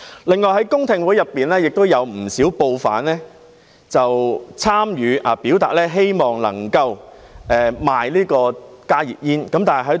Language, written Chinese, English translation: Cantonese, 另外，公聽會有不少報販參與，表達希望能夠售賣加熱煙。, In addition quite a number of newspaper vendors have participated in the public hearings to express their wish to sell HTPs